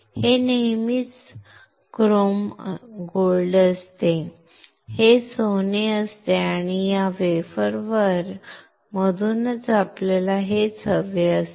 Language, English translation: Marathi, It is always a chrome gold, this is gold, and this is what we want from this wafer